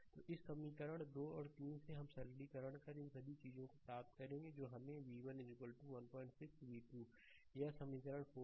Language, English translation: Hindi, So, from equation 2 and 3, we will get upon simplification all these things we get v 1 is equal to 1